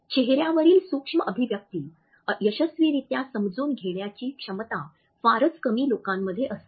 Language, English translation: Marathi, Very few people have the capability to successfully comprehend micro expressions on a face